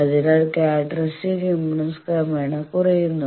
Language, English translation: Malayalam, So, characteristic impedance you decrease progressively